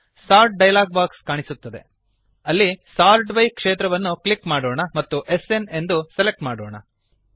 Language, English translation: Kannada, In the Sort dialog box that appears, click the Sort by byfield and select SN